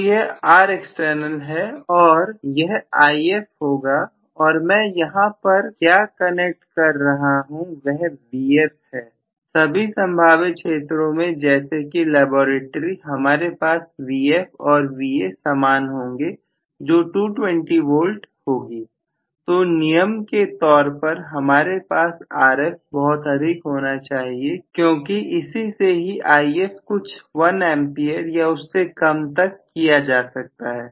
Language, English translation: Hindi, So, this is Rexternal and this is going to be IF and what I am actually connecting here is Vf, in all probability in the laboratory an all I am going to have Vf and Va to be almost of the same value 220 volts or whatever, so I will as a rule have Rf to be pretty large because of which IF will be only order of one ampere or less, it going really really small